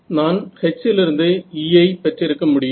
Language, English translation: Tamil, I could have also gone from H and then from H to E